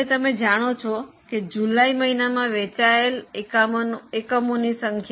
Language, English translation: Gujarati, Now you know the number of units sold in the month of July